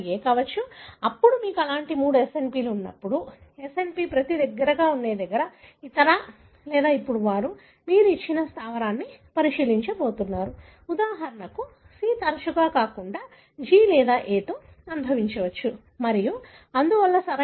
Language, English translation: Telugu, Now, when you have three such SNPs, SNPs close to each other, now they, you are going to look into a condition wherein a given base, for example C may more often than not, may associate with G or A and so on, right